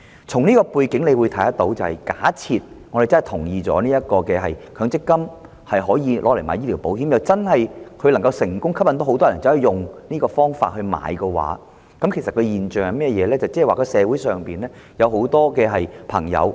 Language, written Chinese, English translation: Cantonese, 在這個背景下，假設我們贊同將強積金部分供款用作購買醫療保險，而又能成功吸引很多人使用這方法購買醫療保險，這樣的話，究竟會出現一個甚麼現象？, In this context assuming that the proposal for using part of the MPF benefits to take out medical insurance is passed and that many scheme members are attracted to take out medical insurance in this way what will happen then?